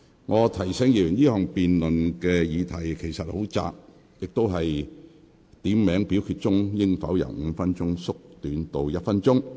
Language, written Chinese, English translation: Cantonese, 我提醒議員，這項辯論的議題其實很窄，就是點名表決鐘聲應否由5分鐘縮短至1分鐘。, May I remind Members that the scope of the subject of this debate is rather narrow ie . whether the duration of the division bell should be shortened from five minutes to one minute?